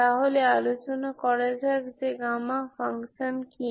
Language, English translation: Bengali, So this is your property of gamma function